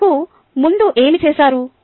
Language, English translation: Telugu, what does done earlier